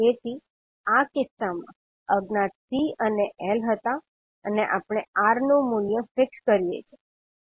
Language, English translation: Gujarati, So in this case the unknowns were C and L and we fix the value of R